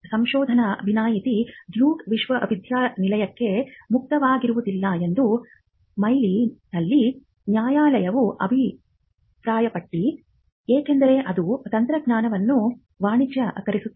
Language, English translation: Kannada, So, the appellate court held that the research exception would not be open to Duke University because, of the fact that it commercializes the technology